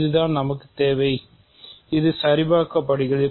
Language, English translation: Tamil, So, this is what we require; so, this is checked